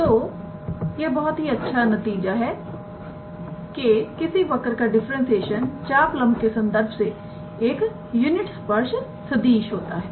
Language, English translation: Hindi, So, this is a very nice result to remember that the differentiation of the curve with respect to the arc length is the unit tangent vector